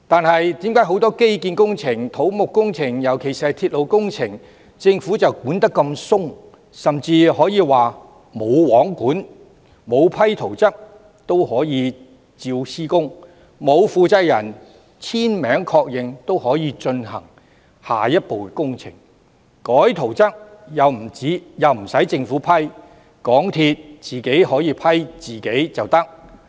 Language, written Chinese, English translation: Cantonese, 可是，為何對於基建工程、土木工程，尤其是鐵路工程，政府的監管卻那麼寬鬆，甚至可以說是"無皇管"，沒有批准圖則也可以施工、沒有負責人簽名確認也可以進行下一步工程，甚至更改圖則亦無須政府批准，可以由港鐵公司自行批核呢？, However why does the Government monitor the infrastructural and civil engineering projects especially railway projects in such a lax manner which can even be described as entirely lacking supervision? . Works can be carried out when the plans have not been approved . The project can proceed to the next step without the signature and confirmation of the person - in - charge